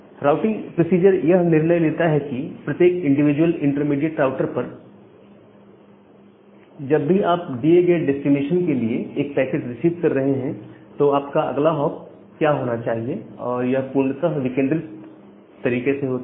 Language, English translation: Hindi, So, the routing procedure decides that at every individual hop, every individual intermediate router whenever you are receiving a packet with this particular destination, what should be your next hop and that is done in a completely decentralized way